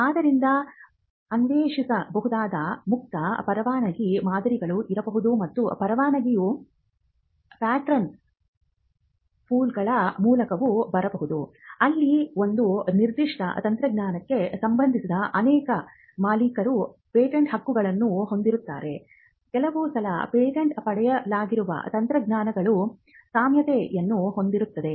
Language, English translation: Kannada, So, there could also be open licensing models which can be explored and licensing can also come by way of pattern pools where multiple owners of patents pertaining to a particular technology pull the pattern together on an understanding that they will cross license it to each other